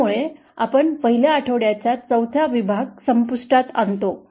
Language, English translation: Marathi, That brings us to an end to the module 4 of week 1